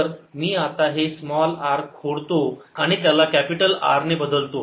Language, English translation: Marathi, i am going to replace this small r now by capital r